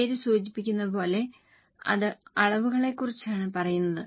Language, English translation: Malayalam, As the name suggests, it is about the quantities